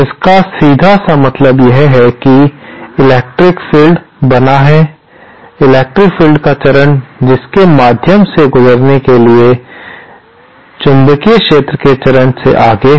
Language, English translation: Hindi, It simply means that the electric field is made, the phase of the electric field after passing through this is ahead of ahead of the phase of the magnetic field